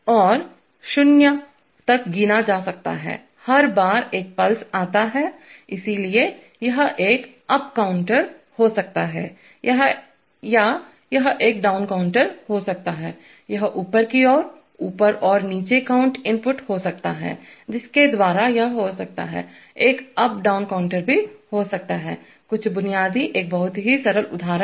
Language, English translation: Hindi, And it may count down to zero, every time a pulse comes, so it may be an up counter or it may be a down counter, it may have upward, up and down count inputs by which it can have, can be also an up down counter, some basic, a very simple example